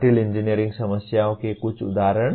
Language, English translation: Hindi, Some examples of complex engineering problems